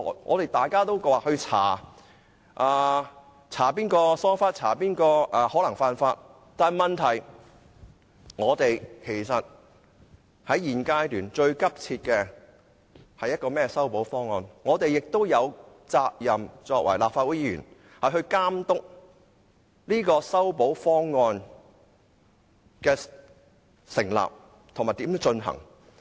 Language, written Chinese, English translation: Cantonese, 我們都說要調查誰疏忽或誰可能犯法，但是，其實現階段最急切的是修補方案，我們作為立法會議員亦有責任監督這個修補方案的擬定，以及如何實行。, Members have said that we must find out who have been negligent or who have broken the laws . However the most urgent task at the moment is actually to formulate a remedial proposal . As Members of the Legislative Council we have the duty to supervise the formulation and implementation of the remedial proposal